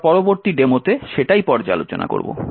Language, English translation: Bengali, In the demo that we will look at next